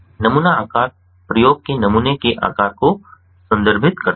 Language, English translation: Hindi, the sample size refers to the sample size of the experiment